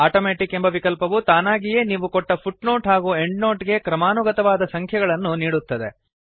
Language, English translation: Kannada, The Automatic option automatically assigns consecutive numbers to the footnotes or endnotes that you insert